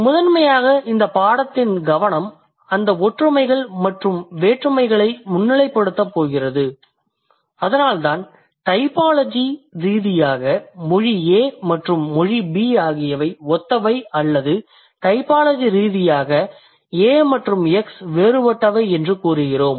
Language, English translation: Tamil, So, primarily the focus of this particular course is going to highlight that similarity and differences, which is why we can claim that typologically language A and B they are similar or typologically language A and X they are different